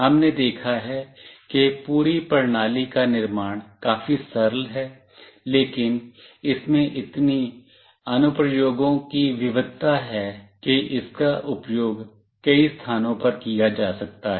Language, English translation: Hindi, We have seen that the building the whole system is fairly very straightforward, but it has got such a variety of application, it could be used in so many places